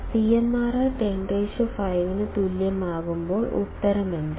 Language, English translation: Malayalam, When CMRR is equal to 10 raised to 5, what is the answer